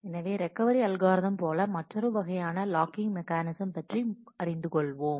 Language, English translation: Tamil, We will learn about another kind of logging mechanism; so, the recovery algorithm